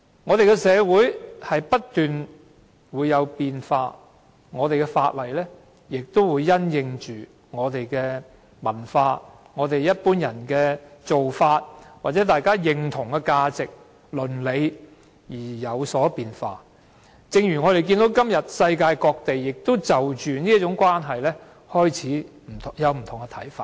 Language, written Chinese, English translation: Cantonese, 我們的社會不斷變化，而我們的法例亦會因應我們的文化、一般人的做法或大家認同的價值和倫理而有所變化，正如我們看到如今世界各地均對這種關係開始有不同看法。, As our society keeps changing our legislation will also change in the light of our culture the practices of ordinary people or the values and ethics universally recognized . We have seen that places around the world have begun to view such relationship in a different light